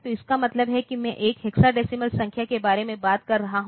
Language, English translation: Hindi, So, that means, I am talking about a hexadecimal number